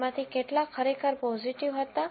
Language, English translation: Gujarati, How many of them were actually true positive